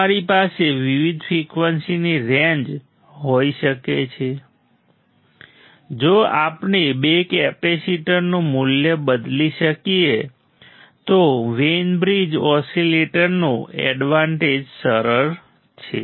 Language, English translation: Gujarati, We can have different frequency range; if we can change the value of the two capacitors advantage of the Wein bridge oscillator easy super easy right